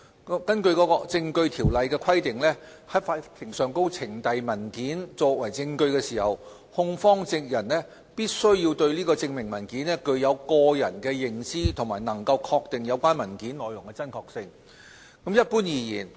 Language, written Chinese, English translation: Cantonese, 根據《證據條例》的規定，在法庭上呈交文件作為證據時，控方證人必須對證明文件具有親身認識，並能確定有關文件內容的真確性。, Under the Evidence Ordinance when tendering a document in evidence in court a prosecution witness must have personal knowledge of the documentary proof and be able to ascertain the authenticity of its contents